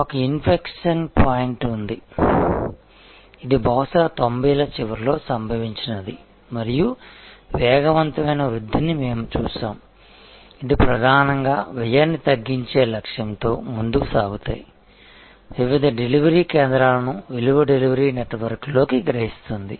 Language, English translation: Telugu, There was an inflection point, which perhaps occur towards the end of 90’s and we had seen rapid growth, which was mainly based on the drive to reduce cost, absorb different centres of efficiency into a value delivery network